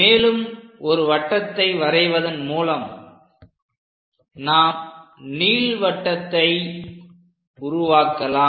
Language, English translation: Tamil, By drawing one more circle, we will be in a position to construct an ellipse